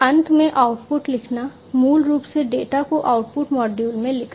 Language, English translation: Hindi, And finally, writing the output, writing basically the data into the output module